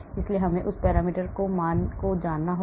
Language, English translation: Hindi, so I need to know that parameter value